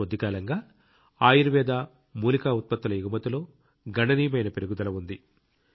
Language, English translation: Telugu, In the past, there has been a significant increase in the export of Ayurvedic and herbal products